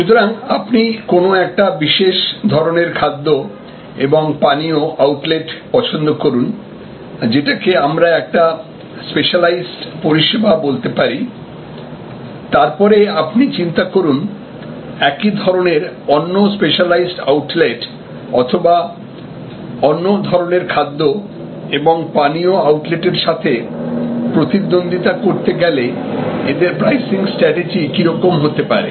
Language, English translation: Bengali, So, you look at a particular type of food and beverage outlet, which can be classified as a specialized service and then, think about their pricing strategy in competition with similar specialized outlets as well as in competition with alternative food and beverage outlets